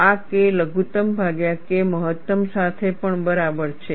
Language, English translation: Gujarati, This is also equal to K minimum divided by K max